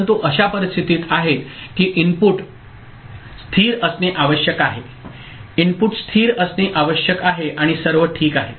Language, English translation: Marathi, But there are conditions like the input need to be stable, input need to be stable and all ok